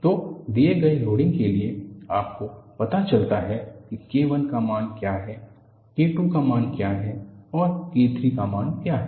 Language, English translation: Hindi, So, for a given loading, you find out what is the value of K I, what the value of K II is and what the value of K III is